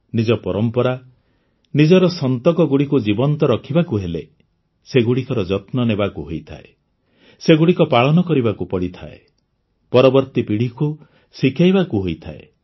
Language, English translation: Odia, To keep our traditions, our heritage alive, we have to save it, live it, teach it to the next generation